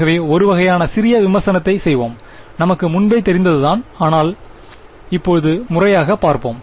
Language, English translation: Tamil, So, let us just do a sort of a brief review of what we already know, but in a little bit more formal language